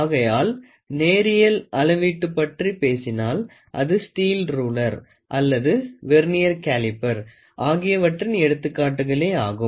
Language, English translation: Tamil, So, when we talk about line measurement, the examples are nothing but steel ruler or Vernier caliper